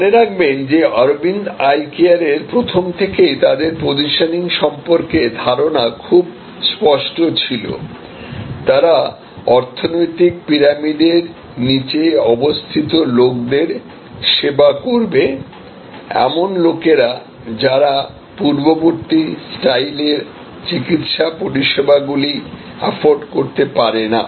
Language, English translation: Bengali, So, remember that Aravind Eye Care Hospital was very clear about their initial positioning, they were serving people at the bottom of the economic pyramid, people who could not afford the earlier style of medical services